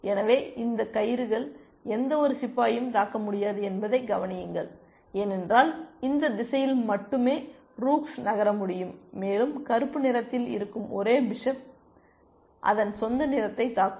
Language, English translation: Tamil, So, observe that these rooks cannot attack any of the pawns otherwise because rooks can move only in this direction, and the only bishop that black has it is the one which will attack its own color